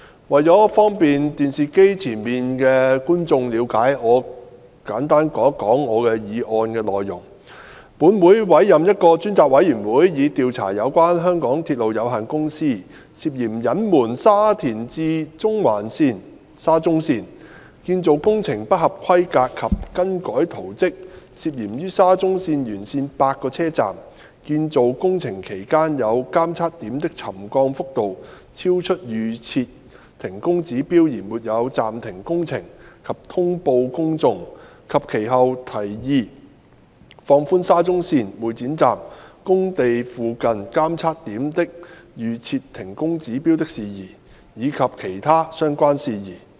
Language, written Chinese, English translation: Cantonese, 為方便電視機前的觀眾了解我的議案，我會簡述我的議案的內容：本會委任一個專責委員會，以調查有關香港鐵路有限公司涉嫌隱瞞沙田至中環線建造工程不合規格及更改圖則、涉嫌於沙中線沿線8個車站建造工程期間有監測點的沉降幅度超出預設停工指標而沒有暫停工程及通報公眾，及其後提議放寬沙中線會展站工地附近監測點的預設停工指標的事宜，以及其他相關事宜。, To facilitate the viewers watching the telecast in understanding my motion I will state the content of my motion in brief That this Council appoints a select committee to inquire into matters relating to the MTR Corporation Limiteds MTRCL alleged concealment of the substandard construction works and alternations to the construction drawings of the Shatin to Central Link SCL alleged failure to suspend the construction works and notify the public when the settlement of some monitoring points is found to have exceeded the pre - set trigger levels during the construction of eight stations along SCL and subsequent proposal of relaxing the pre - set trigger levels for temporary suspension of works of the monitoring points near the construction site of the Exhibition Centre Station of SCL and other related matters